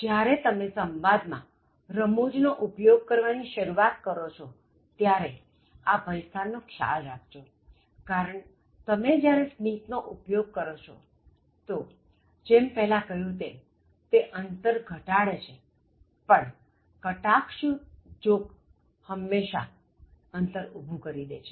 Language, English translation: Gujarati, So, when you start using humour in communication, beware of these pitfalls, beware of these pitfalls because when you use a smile, as it was said before, it can reduce the distance but a sarcastic joke, can distance a person forever